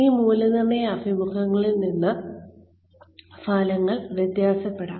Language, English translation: Malayalam, The outcomes can vary, from these appraisal interviews